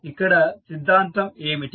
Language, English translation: Telugu, What is the theorem